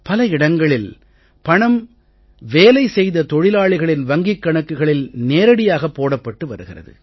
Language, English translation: Tamil, In many places the wages of the labourers is now being directly transferred into their accounts